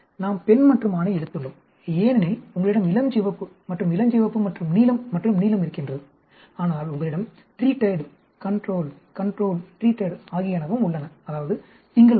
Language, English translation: Tamil, We have a female and male taken here because you have pink and pink and blue and blue, but you also have treated control, control treated, that is, on Monday